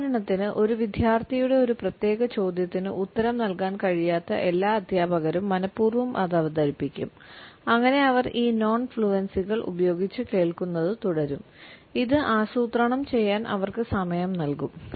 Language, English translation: Malayalam, For example all those teachers who are unable to answer to a particular question by a student, would deliberately introduced it so that they would keep on listening with these non fluencies and it would give them time to plan